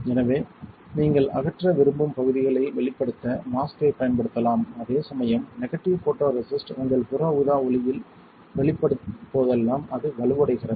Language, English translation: Tamil, So, you can use a mask to reveal areas you want to get rid of while negative photoresist is just the opposite whenever you gets exposed to UV light it gets stronger